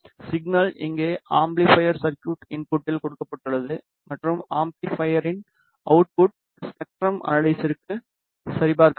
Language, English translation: Tamil, The signal is given at the input of the amplifier circuit over here and the output of the amplifier will be checked on to the spectrum analyzer